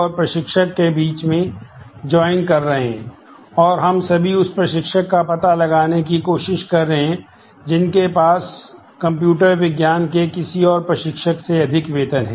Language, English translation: Hindi, And we are trying to find out all instructor who have higher salary than some instructor in computer science